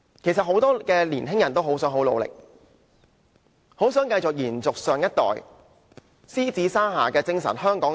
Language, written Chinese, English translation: Cantonese, 其實，很多年青人也很想努力，很想延續上一代那"獅子山下"精神和香港故事。, In fact many young people want to work hard and they want to carry on the spirit of the Lion Rock of the previous generation and live out the stories of Hong Kong